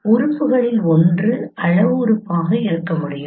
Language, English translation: Tamil, So one of the element could be a scale element